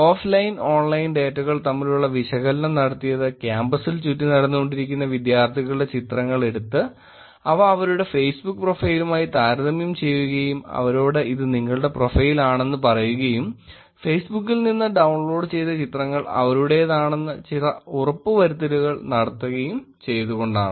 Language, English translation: Malayalam, Offline and online, they took pictures of students walking around on campus and compared to their Facebook profile and then, said that this is your profile and then got some confirmation about the pictures that they downloaded from Facebook